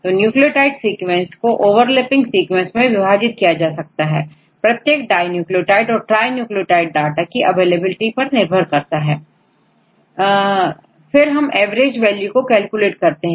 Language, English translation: Hindi, So, we classified the nucleotide sequence into overlapping segments, either dinucleotides or trinucleotides depending upon the availability of data, then we can calculate the average values